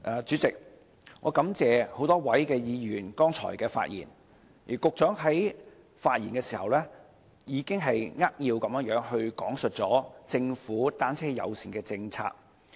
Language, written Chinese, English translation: Cantonese, 主席，我感謝多位議員剛才的發言，而局長在發言的時候，已扼要講述政府的單車友善政策。, President I am grateful to a number of Members who spoke earlier and in his speech the Secretary gave a brief account of the Governments bicycle - friendly policy